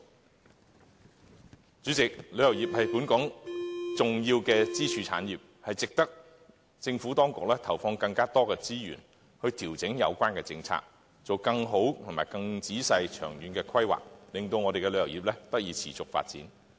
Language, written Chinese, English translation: Cantonese, 代理主席，旅遊業是本港重要的支柱產業，值得政府當局投放更多資源以調整有關政策，作更好及更仔細的長遠規劃，令本港旅遊業得以持續發展。, Deputy President the tourism industry is an important pillar of Hong Kongs economy and the Government should allocate more resources to adjust the relevant policies as well as make better and more thorough long - term planning to ensure the sustainable development of Hong Kongs tourism industry